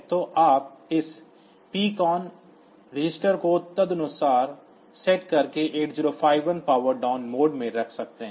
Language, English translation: Hindi, So, you can put that 8051 in the power down mode by setting this PCON bits accordingly